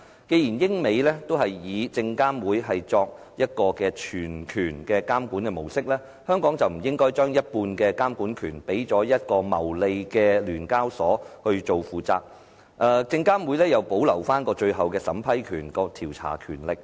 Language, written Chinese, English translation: Cantonese, 既然英、美都以證監會作全權監管模式，香港便不應將一半監管權給予牟利的聯交所負責，證監會又保留最後的審批、調查權力。, Since the stock market oversight authorities in the United Kingdom and the United States are playing the role as the sole supervisory authorities then half of the relevant power should not be vested in the profit - making SEHK while SFC retains the final approval and investigative powers